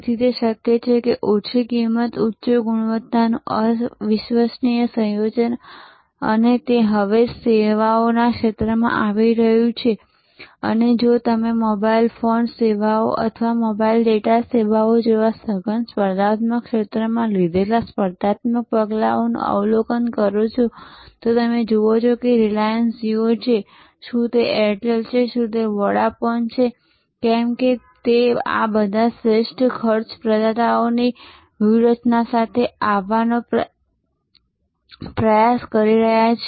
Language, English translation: Gujarati, So, it is possible to offer that unassailable combination of low cost, high quality and this is now coming into services field and if you observe the competitive steps taken by in the intensive competitive field of say mobile phone services or mobile data services, you will see whether it is the reliance jio, whether it is Airtel, whether it is Vodafone their all trying to come up with this best cost providers strategy